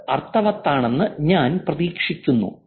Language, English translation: Malayalam, I hope that's making sense